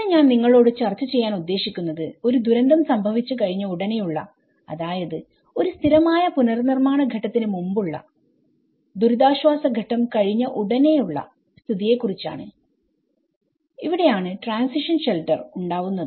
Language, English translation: Malayalam, So, today what I am going to discuss with you is it is about the immediately after a disaster before coming into the permanent reconstruction stage and just immediately after relief stage, this is where the transition shelter